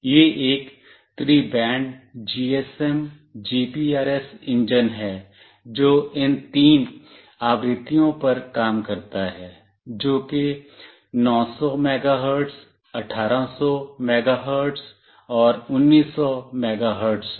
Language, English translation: Hindi, It is a tri band GSM, GPRS engine that works on these three frequencies, that is 900 megahertz, 1800 megahertz, and 1900 megahertz